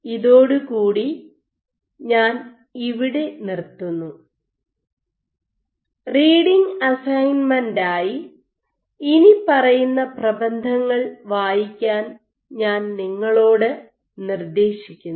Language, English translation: Malayalam, With that I stop here as reading assignment, I suggest you to read the following to papers